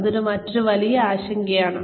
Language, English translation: Malayalam, That is another big concern